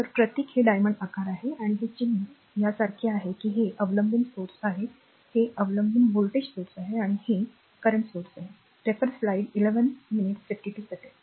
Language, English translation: Marathi, So, symbol is this is diamond shape and this symbol is your like this that is the dependent sources these dependent voltage source and this is dependent current source